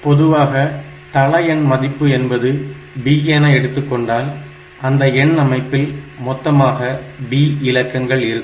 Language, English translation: Tamil, So, in general, if we have this base value is equal to b then; that means, there will be b possible digits in the number system